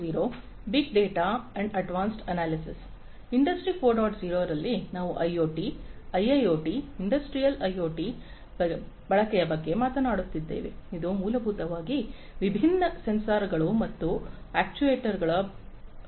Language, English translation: Kannada, 0, we are talking about use of IoT, use of IIoT, Industrial IoT which essentially are heavily based on the use of different sensors and actuators